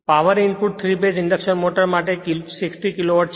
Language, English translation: Gujarati, The power input to a 3 phase induction motor is 60 kilo watt